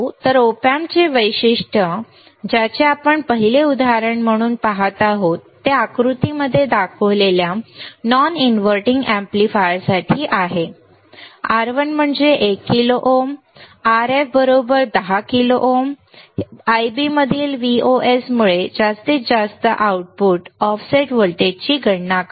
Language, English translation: Marathi, So, Op Amp characteristic we are looking at as an example first is for the non inverting amplifier shown in figure this one, R1 is 1 kilo ohm Rf equals to 10 kilo ohm calculate the maximum output offset voltage due to Vos in Ib